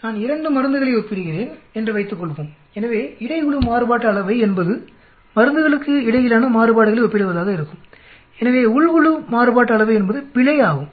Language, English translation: Tamil, Suppose I am comparing 2 drugs, so between group variance will be comparison of variances between drugs, so within group variances is nothing but error